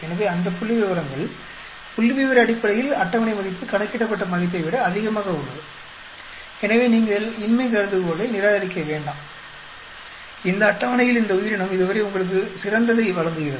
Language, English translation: Tamil, So, all those statistic, statistically the table value is higher than the calculated value, so you do not reject the null hypothesis, this organism gives you best so far in this list